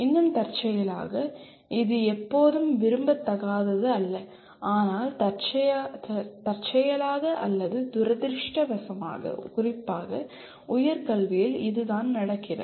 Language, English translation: Tamil, And still incidentally, it is not always undesirable, but incidentally or unfortunately the especially at higher education this is what happens